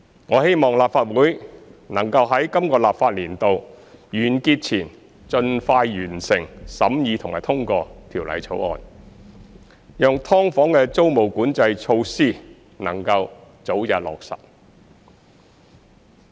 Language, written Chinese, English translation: Cantonese, 我希望立法會能在今個立法年度完結前盡快完成審議及通過《條例草案》，讓"劏房"的租務管制措施能夠早日落實。, I hope that the Legislative Council will complete the scrutiny and passage of the Bill as soon as possible before the end of the current legislative session so that the tenancy control measures on subdivided units can be implemented expeditiously